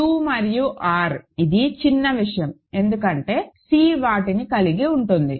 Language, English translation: Telugu, Q and R it is trivial because C contains it, contains them